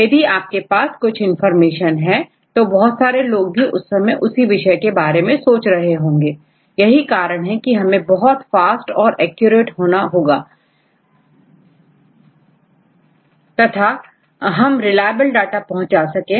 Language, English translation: Hindi, If you have some information immediately several people will think in a same way, this is the reason we need to be very fast and we very accurate and we have to provide reliable data